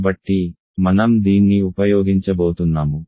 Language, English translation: Telugu, So, I am going to use this